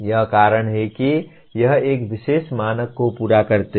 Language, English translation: Hindi, That is whether it meets a particular standard